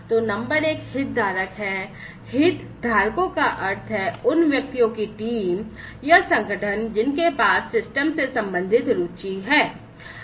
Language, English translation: Hindi, So, number one is the stakeholder stakeholders are individuals teams or organizations having interest concerning the system